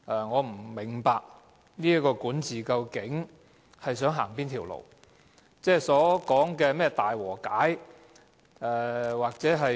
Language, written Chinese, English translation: Cantonese, 我不明白這個管治當局究竟想走哪條路，他們所講的是怎樣的大和解。, I do not know which path the administration is heading and what kind of great reconciliation they are talking about